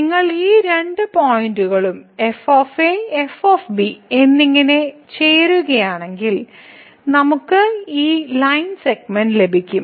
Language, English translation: Malayalam, So, if you join these two points at and at then we get this line segment